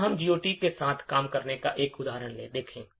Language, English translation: Hindi, Let us look at an example of working with GOT